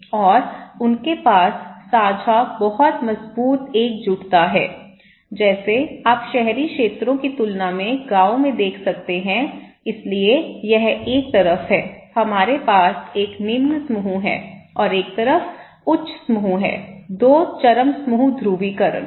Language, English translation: Hindi, And they have share common very strong solidarity, okay like you can see in the villages compared to urban areas, so this is one side, we have a low group and one on the side we have high group; 2 extreme group polarizing